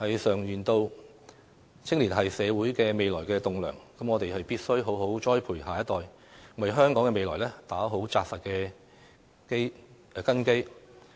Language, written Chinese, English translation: Cantonese, 常言道，青年是社會未來的棟樑，我們必須好好栽培下一代，為香港的未來打好扎實的根基。, As the saying goes young people are the future pillars of society . We must properly nurture our next generation to lay a solid foundation for the future of Hong Kong